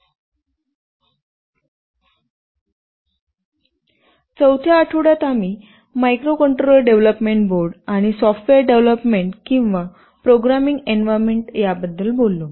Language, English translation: Marathi, In the 4th week, we talked about microcontroller development boards and the software development or programming environments